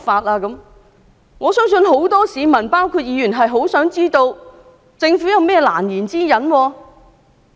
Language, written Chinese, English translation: Cantonese, 我相信議員和很多市民都想知道政府有何難言之隱。, I believe Members and many members of the public would like to learn about the unspeakable reasons of the Government